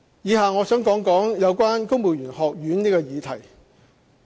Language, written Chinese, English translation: Cantonese, 以下我想談談有關公務員學院這個議題。, Below I wish to speak on the establishment of a civil service college